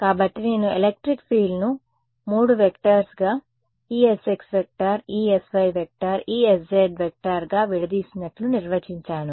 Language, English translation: Telugu, So, I have defined I have decomposed the electric field into 3 vectors E s x E s y E s z huh